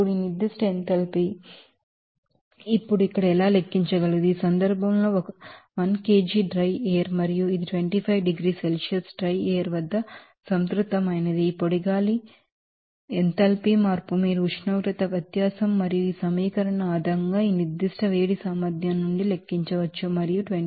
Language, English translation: Telugu, Now, how this specific enthalpy can calculate there now, in this case, 1 kg dry air and it is saturated at 25 degrees Celsius dryer in this case this the dry air enthalpy change you can calculate based on that you know temperature difference and from this specific heat capacity based on this equation and will come 25